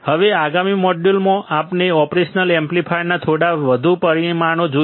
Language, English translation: Gujarati, Now, in the next module we will see few more parameters of the operational amplifier